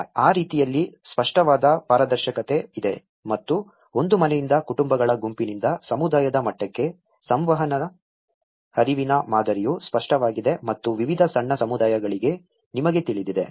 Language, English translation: Kannada, In that way, there is a clear transparency and there is a clear the flow pattern of the communication from starting from a household to group of households to the community level and also, you know across various smaller communities